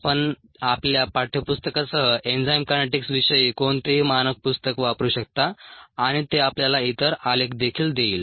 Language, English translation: Marathi, ah, you can look at any standard book on enzyme kinetics, including your text book, and that will give you the other plots also